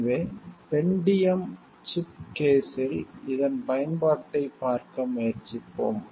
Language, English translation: Tamil, So, we will try to see the application of this in a Pentium chip case